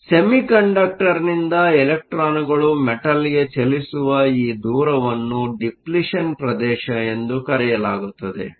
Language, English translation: Kannada, So, this distance from where electrons from the semiconductor move to the metal is called your Depletion region